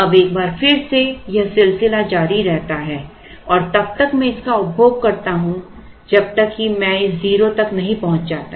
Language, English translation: Hindi, Now once again the cycle continues and then I start consuming this till I reach this